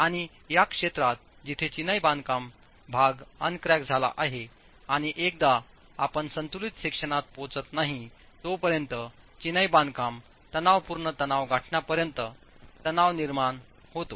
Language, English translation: Marathi, And in this region where the masonry portion is uncracked and once cracking occurs, till you reach the balanced section, the masonry compressive stress is governing, is controlling